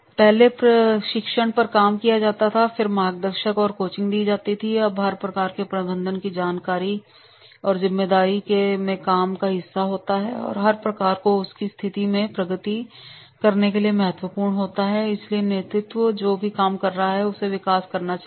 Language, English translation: Hindi, First and foremost training is done on the job and the guiding and coaching is part of the responsibility of the each manager and is crucial to make each one progress in his or her position and therefore that leadership is that that is whoever is working under you they should take the growth